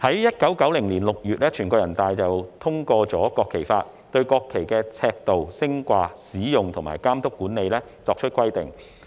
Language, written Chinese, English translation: Cantonese, 1990年6月，全國人民代表大會通過《國旗法》，對國旗的尺度、升掛、使用和監督管理等作出規定。, The National Peoples Congress NPC adopted the Law of PRC on the National Flag in June 1990 to regulate the size raise use supervision and administration etc . of the national flag